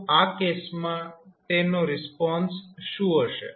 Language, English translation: Gujarati, So, in that case what will be the response